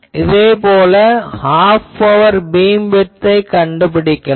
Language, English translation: Tamil, Similarly, you can find half power beam width